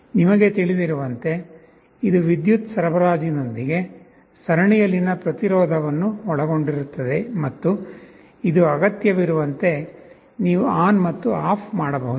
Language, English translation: Kannada, As you know, it will consist of a resistance in series with a power supply and this you can switch on and off as required